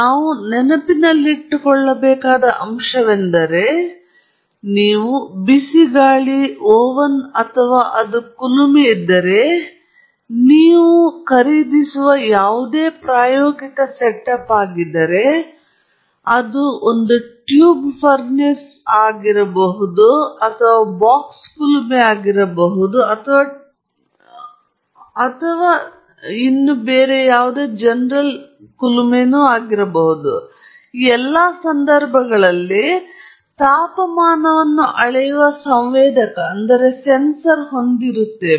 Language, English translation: Kannada, So, the point that we have to keep in mind is that any experimental setup you buy, if it’s a hot air oven or it is a furnace let us say, it is a tube furnace, could be a box furnace or a tube furnace, in all these cases they have a sensor, which measures temperature